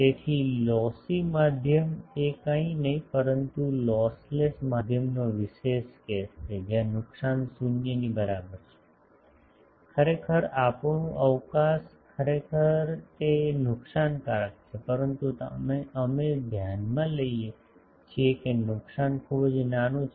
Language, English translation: Gujarati, So, lossy medium is nothing but a special case of lossless medium, where loss is equal to 0 actually our pre space actually it is lossy, but we consider it that loss is very small